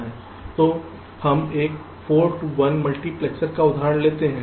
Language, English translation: Hindi, so we take an example of a four to one multiplexer